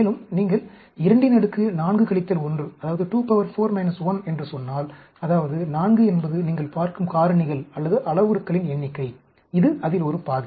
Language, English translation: Tamil, And, if you say 2 power 4 minus 1, that means, 4 is the number of factors, or parameters you are looking at, and this is a half of that